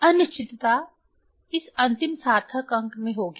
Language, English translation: Hindi, Uncertainty will be in this in this last significant figure